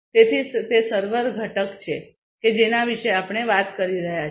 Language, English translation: Gujarati, So, that is the server component that we are talking about